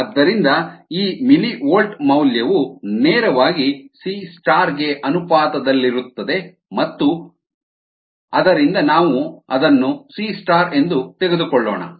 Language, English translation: Kannada, so this millivolt value is directly proportional to c star and therefore, let us take it has c star